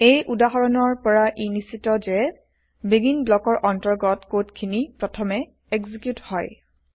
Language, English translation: Assamese, From this example, it is evident that: The code written inside the BEGIN blocks gets executed first